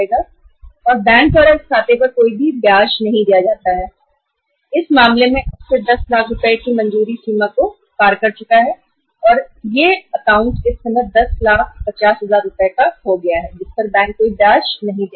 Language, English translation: Hindi, And no interest is paid by the bank to the firm on that account and in this case also since now it has crossed the sanction limit of 10 lakh rupees it has become 10,50,000 Rs so for the additional 50,000 Rs bank will not pay any interest